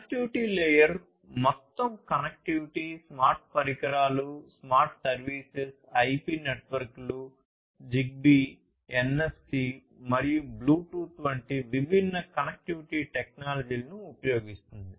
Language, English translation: Telugu, Connectivity layer talks about the overall connectivity, smart devices, smart services; you know using different connectivity technologies such as IP networks, ZigBee, NFC, Bluetooth etc